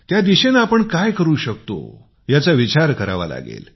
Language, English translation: Marathi, We should think about what more can be done in this direction